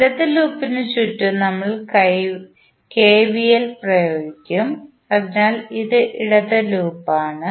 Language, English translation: Malayalam, We will apply KVL around the left hand loop so this is the left hand loop